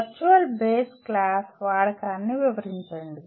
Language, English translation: Telugu, Explain the use of virtual base class